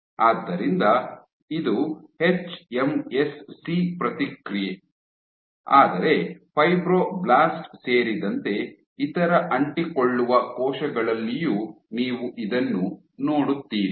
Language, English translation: Kannada, So, this is your hMSC response, but you see in most other adherent cells including fibroblast